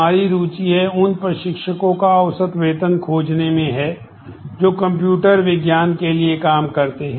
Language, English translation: Hindi, We are interested to find the average salary of those instructors who work for computer science